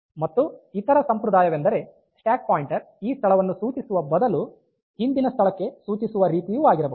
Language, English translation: Kannada, And other convention may be the stack pointer instead of pointing to this location it points to the previous location